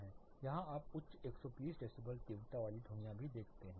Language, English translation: Hindi, You get as high as 120 decibels some of these sounds are that intensity